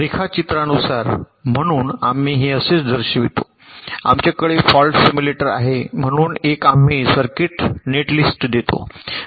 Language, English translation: Marathi, so we ah just show it like this: we have a fault simulator, so as one of the inputs we give the circuit netlist